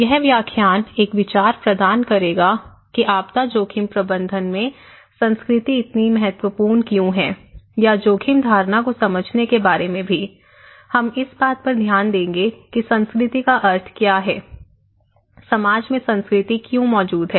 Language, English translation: Hindi, This lecture would provide an idea, the kind of perspective about why culture is so important in disaster risk management or understanding risk perception also, we will look into what is the meaning of culture, why culture exists in society